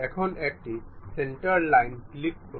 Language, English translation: Bengali, now click a centre line